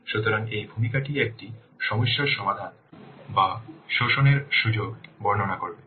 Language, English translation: Bengali, So this introduction will describe a problem to be solved or an opportunity to be exploited